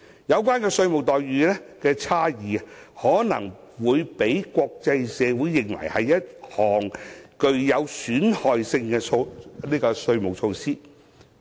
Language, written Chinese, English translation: Cantonese, 有關的稅務待遇差異，可能會被國際社會視為一項具有損害性的稅務措施。, The differential tax treatment may be considered as a harmful tax measure by the international community